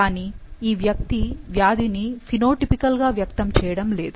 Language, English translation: Telugu, However he is not manifesting the disease phenotypically